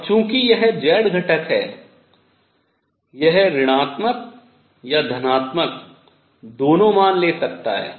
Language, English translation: Hindi, And since this is z component it could take negative or positive values both